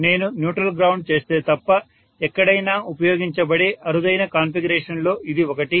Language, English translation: Telugu, But this is one of the rarest configurations that are used anywhere, unless I ground the neutral